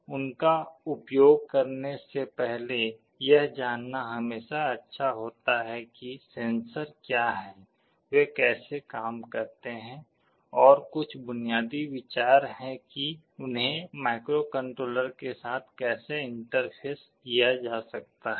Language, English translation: Hindi, Before using them, it is always good to know what the sensors are, how they work and some basic idea as to how they can be interfaced with the microcontroller